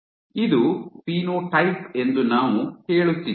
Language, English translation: Kannada, We are saying that it is the phenotype